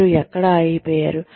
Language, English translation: Telugu, Where you stopped